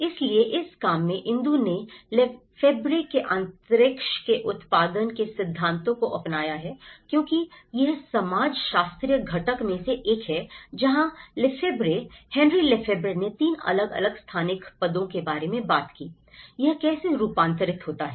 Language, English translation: Hindi, So, in this work, Indu have adopted Lefebvreís theory of production of space because this is one of the sociological component where Lefebvre, Henri Lefebvre talked about 3 different ontological positions of place, how it gets transformed